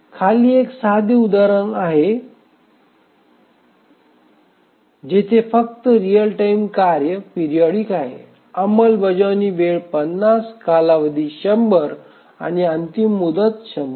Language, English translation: Marathi, Let's consider there is a very simple case where there is only one real time task which is periodic, the period is 50, sorry, the execution time is 50, the period is 100 and the deadline is 100